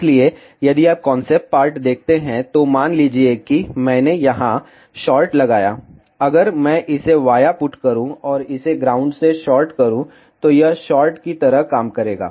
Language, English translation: Hindi, So, if you see the concept part in this, suppose if I put a short here, if I put a via and short it with ground, then it will act like a short